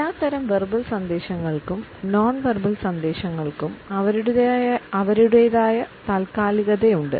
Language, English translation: Malayalam, All types of verbal messages as well as nonverbal messages have their own temporalities